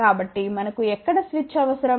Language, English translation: Telugu, So, where do we need a switch ok